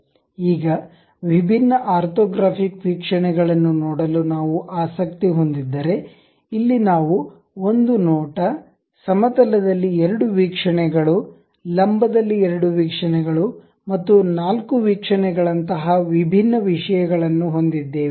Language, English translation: Kannada, Now, if we are interested about see different orthographic orthographic views, here we have different things something like single view, two view horizontal, two view vertical, and four view